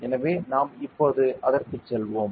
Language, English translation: Tamil, So, we will go into that now ok